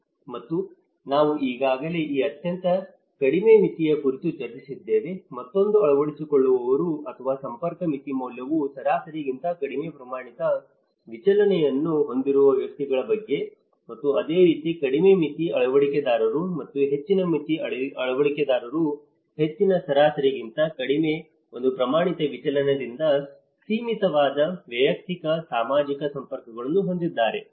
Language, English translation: Kannada, And I have already discussed about this very low threshold, again the adopters or the individual whose network threshold value is greater than one standard deviation lower than the average that network threshold and similarly, the low threshold adopters and the high threshold adopters have a personal social networks bounded by one standard deviation lower than the higher average